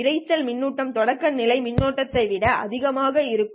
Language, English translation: Tamil, That is the noise current will be greater than the threshold current